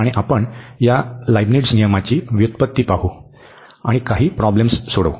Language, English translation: Marathi, And we will go through also the derivation of this Leibnitz rule and some worked problems